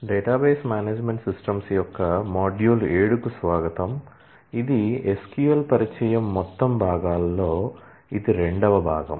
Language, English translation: Telugu, Welcome to module 7 of database management systems, this is a second part out of total 3 of introduction to SQL